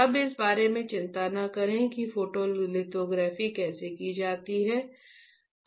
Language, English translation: Hindi, Now, do not worry about how the photolithography is performed, that I will teach you, right